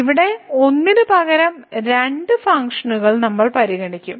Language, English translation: Malayalam, So, here we will consider two functions instead of one